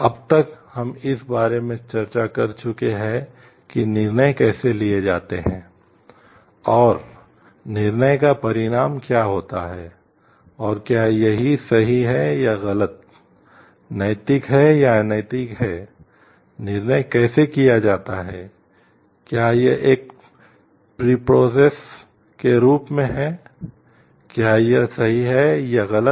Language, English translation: Hindi, Till now we have discussed about the how decisions are made, and what is the outcome of the decision and whether it is like right or wrong ethical unethical, how the decision is made whether it is as a preprocess whether it is right or wrong